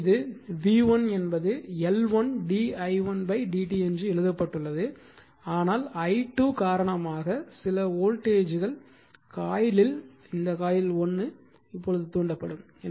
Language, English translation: Tamil, So, this is for your v 1 you write L 1 d i1 upon d t it is written then, but due to this i 2 that some you are voltage will be induced in the coil your what you call coil 1